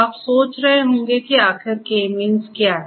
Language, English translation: Hindi, You might be wondering that what is this K means all about